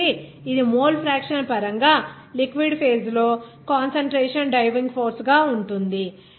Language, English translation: Telugu, So, it will be concentration driving force in the liquid phase in terms of mole fraction